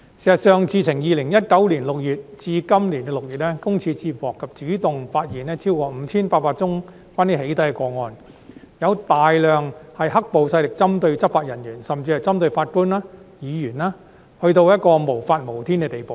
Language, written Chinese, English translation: Cantonese, 事實上，自2019年6月至今年6月，個人資料私隱專員公署接獲及主動發現超過 5,800 宗關於"起底"的個案，有大量是"黑暴"勢力針對執法人員，甚至針對法官和議員的個案，已經達到無法無天的地步。, In fact from June 2019 to June this year the Office of the Privacy Commissioner for Personal Data PCPD received and proactively uncovered over 5 800 doxxing - related cases of which a large number involved black - clad violence perpetrators targeting law enforcement officers and even judges and Legislative Council Members to the extent of lawlessness